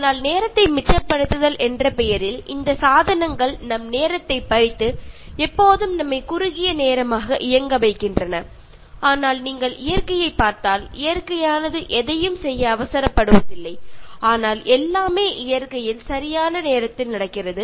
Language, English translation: Tamil, But in the name of saving time, these devices they hijack our time and always keep us running short of time, but if you look at nature, nature does not hurry to do anything, but everything happens in nature in time